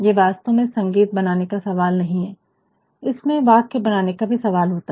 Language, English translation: Hindi, It is not only the question of creating music, it is actually also the question of creating it in sentences